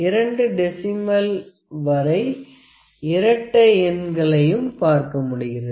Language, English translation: Tamil, So, up to two places of decimals and even numbers we can see all these dimensions